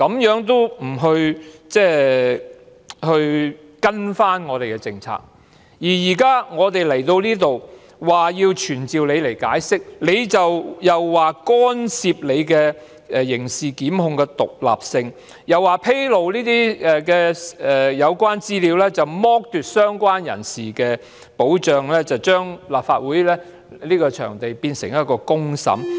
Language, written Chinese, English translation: Cantonese, 現時來到立法會，我們提出要傳召她以聽取她的解釋，她又說我們干涉其刑事檢控的獨立性，又說披露有關資料會剝奪相關人士的保障，把立法會變為公審場地。, And now in the Legislative Council we ask to summon her in order to listen to her explanation but she says that we are interfering with the independence of criminal prosecution and that disclosing the related information will deprive the person concerned of his protection turning the Legislative Council into a place for public trial